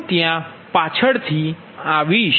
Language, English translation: Gujarati, i will come to that